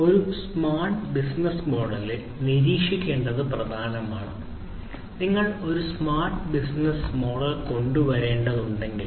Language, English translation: Malayalam, So, what is important is to monitor in a smart business model; if you have to come up with a smart business model